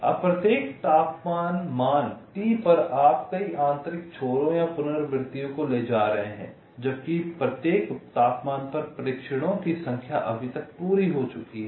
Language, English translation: Hindi, now, at every temperature, value t, you are carrying out a number of inner books or iterations, while (Refer Time 24:00) number of trials at each temperature not yet completed